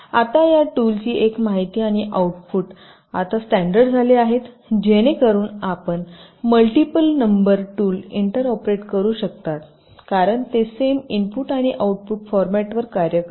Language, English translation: Marathi, now, one thing, ah, the inputs and the outputs of this tools are now fairly standardized so that you can you can say, inter operate multiple number of tools because they work on the same input and output formats